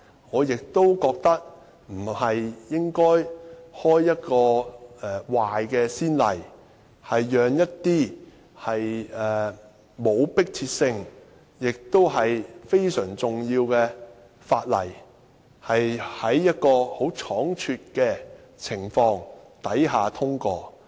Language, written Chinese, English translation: Cantonese, 我亦覺得不應該開一個壞先例，讓一些無迫切性亦非常重要的法例倉卒通過。, I also consider that a bad precedent should not be set for the hasty passage of some non - urgent and very important Bills